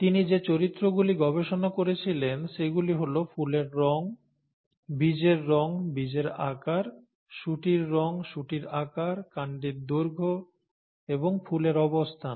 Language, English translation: Bengali, The characters that he studied were flower colour, seed colour, seed shape, pod colour, pod shape, stem length and the flower position